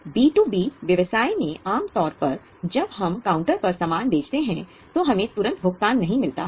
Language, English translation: Hindi, In B2B business, normally when we sell the goods, across the counter payment may be